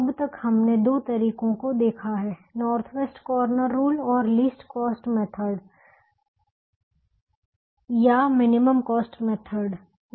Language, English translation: Hindi, so far we have seen two methods: the north west corner rule and the least cost method or minimum cost method